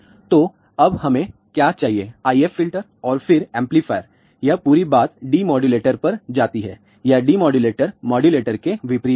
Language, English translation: Hindi, So, again what we need now if filter and then amplifier this whole thing goes to the demodulator this demodulator is opposite of modulator